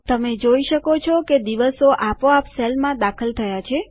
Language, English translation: Gujarati, You see that the days are automatically entered into the cells